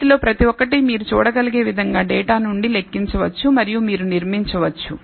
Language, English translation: Telugu, So, every one of this can be computed from the data as you can see and you can construct